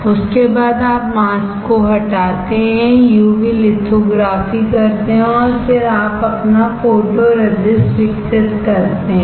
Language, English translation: Hindi, After that you lower the mask do the UV lithography and then you develop your photoresist